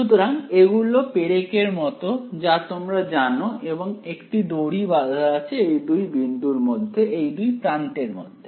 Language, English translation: Bengali, So, these are like you know nails you can say and a string is tied at these two points between this end between